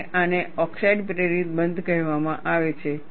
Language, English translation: Gujarati, And this is called, oxide induced closure